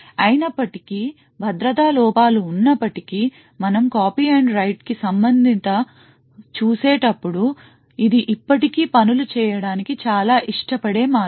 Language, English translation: Telugu, However, as we see even though there are security vulnerabilities with respect to copy and write, it is still a very preferred way for doing things